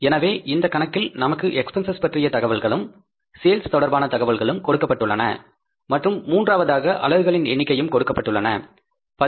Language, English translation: Tamil, So in this case, we are given the information about the cost, we are given the information about sales, and we are given the third information about the number of units